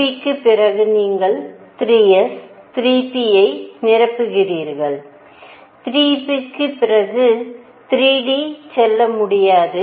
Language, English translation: Tamil, And after 2 p you fill 3 s, 3 p, and after 3 p you cannot go to 3 d